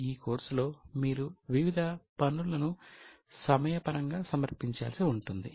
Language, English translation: Telugu, You will need to submit various assignments during the course